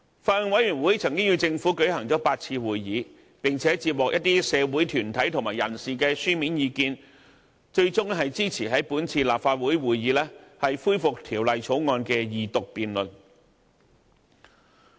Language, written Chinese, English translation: Cantonese, 法案委員會曾與政府舉行了8次會議，並且接獲一些社會團體和人士的書面意見，最終支持於本次立法會會議恢復《條例草案》的二讀辯論。, The Bills Committee held eight meetings with the Government and received written views from some community groups and members of the public . The Bills Committee eventually supported the resumption of the Second Reading debate of the Bill at this Council meeting